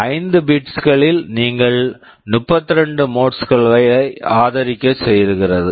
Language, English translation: Tamil, In 5 bits you can support up to 32 modes